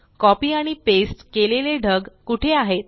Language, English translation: Marathi, Where is the cloud that we copied and pasted